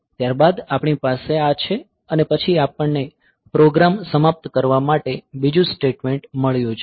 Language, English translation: Gujarati, So, after this we have this one and then we have got another statement to end a program